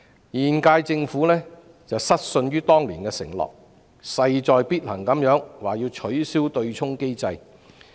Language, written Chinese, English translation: Cantonese, 現屆政府失信於人，沒有信守當年的承諾，現時勢在必行要取消對沖機制。, The current - term Government has gone back on its words and failed to honoured its promise made back then . It is now imperative to abolish the offsetting mechanism